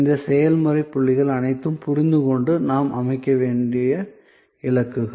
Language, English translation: Tamil, All this process points understands and the targets we have to set up